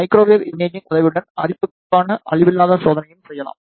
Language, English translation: Tamil, With the help of microwave imaging the non destructive testing for the corrosion can also be done